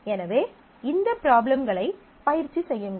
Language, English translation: Tamil, So, do practice these problems